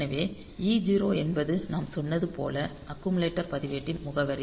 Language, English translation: Tamil, So, e 0 as we said that e 0 is the address of accumulator register